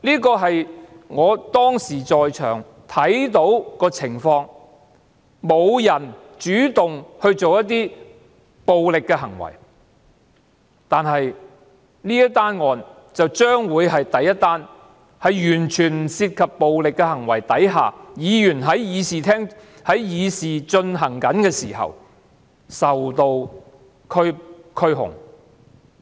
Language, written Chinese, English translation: Cantonese, 這是我當時在場看到的情況，無人主動作出暴力的行為，但這宗案件將會是第一宗在完全不涉及暴力行為的情況下，議員因為在議事廳議事時發生的事情而受到拘控。, According to what I saw at the scene no one had initiated any violence but this would become the first case in which Members were arrested and prosecuted because of what happened in the Chamber without any involvement of violence